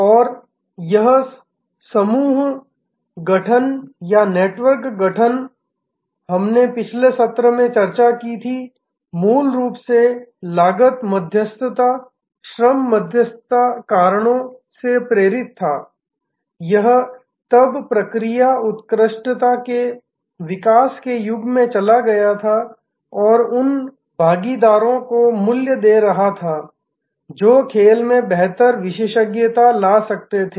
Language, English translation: Hindi, And this constellation formation or network formation, we discussed in the last session originally was driven by cost arbitrage, labor arbitrage reasons, it then move to the era of developing process excellence and giving value to those partners, who could bring superior expertise to the play